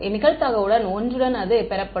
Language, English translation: Tamil, And with probability one it will be received